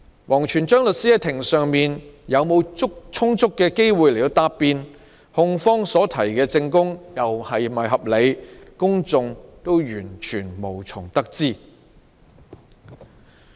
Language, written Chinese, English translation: Cantonese, 王全璋律師在庭上是否有充足機會答辯，控方所提的證供又是否合理，公眾完全無從得知。, The public was completely unaware of whether WANG Quanzhang had sufficient opportunity of defence in court and whether the evidence provided by the prosecution was reasonable